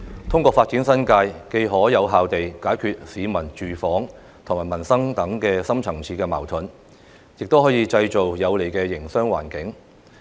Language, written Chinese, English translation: Cantonese, 通過發展新界，既可有效地解決市民住房及民生等深層次矛盾，亦可以製造有利的營商環境。, The development of the New Territories can effectively resolve deep - rooted conflicts such as the housing and livelihood problem for the people on the one hand and create a more favourable business environment on the other